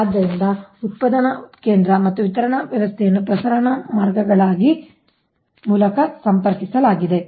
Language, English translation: Kannada, so generating station and distribution system are connected through transmission lines